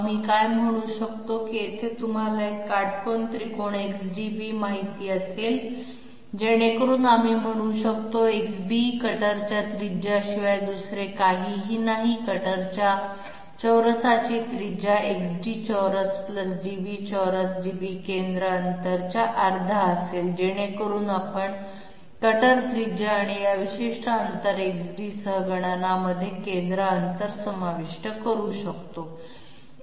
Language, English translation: Marathi, What we can say is that here there will be one you know right angle triangle XDB so that we can say XB, which is nothing but the radius of the cutter, radius of the cutter Square must be equal to XD square + DB square, DB happens to be half the centre distance so that we can induct centre distance into the calculation with cutter radius and this particular distance XD